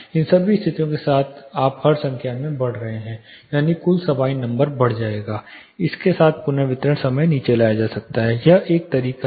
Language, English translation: Hindi, With all this conditions you are increasing the number in the denominator that is the total Sabine’s will go up with this the reverberation time can be brought down, this is one method